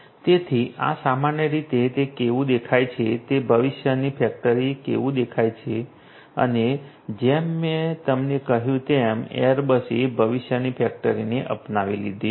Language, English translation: Gujarati, So, this is typically how it looks like, what it looks like in a factory of the future and as I told you that airbus has already adopted the factory of the future right